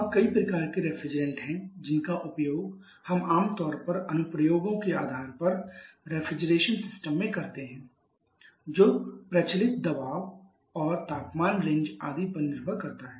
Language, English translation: Hindi, Now there are several kinds of reference that we commonly use in refrigeration system depending upon the application depending upon the prevailing pressure and temperature ranges etcetera